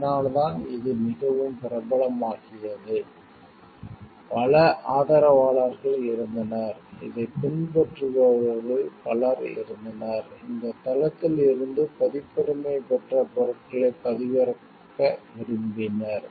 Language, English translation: Tamil, So, that is why it became very popular, there were many supporters there were many followers who used to do it, who used to like download the copyrighted materials from this side